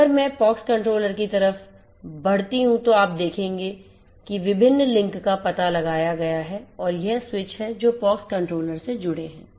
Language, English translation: Hindi, If I go up at the pox controller side you will see that links different links are detected and these are the switches which are connected to the POX controller